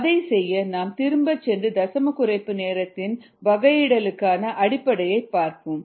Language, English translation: Tamil, let us go back and look at the basis for the derivation of ah decimal reduction time